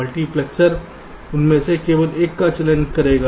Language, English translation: Hindi, multiplexer will be selecting only one of them